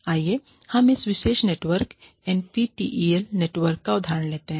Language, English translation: Hindi, Let us take, the example of this particular network, the NPTEL network